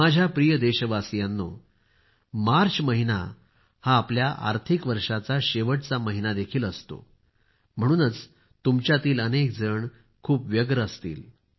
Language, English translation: Marathi, My dear countrymen, the month of March is also the last month of our financial year, therefore, it will be a very busy period for many of you